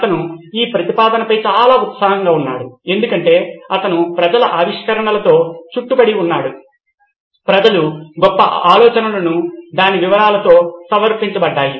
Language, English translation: Telugu, He was very excited at this proposition because he was surrounded by people’s inventions, people's greatest ideas presented in all its detail